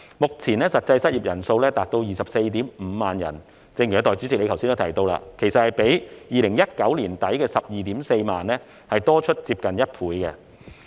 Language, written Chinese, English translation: Cantonese, 目前，實際失業人數達 245,000 人，正如代理主席剛才提到，這其實比2019年年底的 124,000 人多出接近1倍。, At present the actual number of unemployed people stands at 245 000 which is actually more than a double of the 124 000 in late 2019 as mentioned by the Deputy President just now